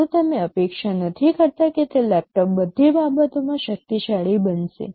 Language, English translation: Gujarati, Well you do not expect that those laptops will become powerful in all respects